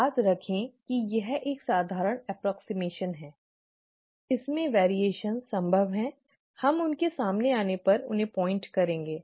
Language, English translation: Hindi, Remember that this is a simple approximation, there are variations possible, we will point them out when we come to them